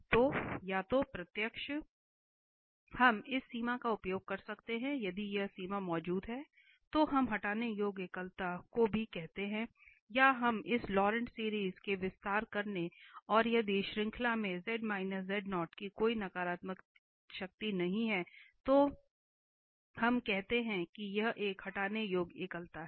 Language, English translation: Hindi, So, either the direct we can get using this limit if this limit exist then we also call removable singularity or we will expand into this Laurent series and if there is no power the negative power of z minus z0 in the series then we call that this is a removable singularity